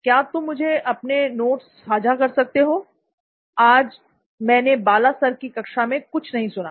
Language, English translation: Hindi, Can you share your notes, I didn’t listen to Bala sir’s class today, please